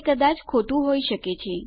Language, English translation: Gujarati, That might be wrong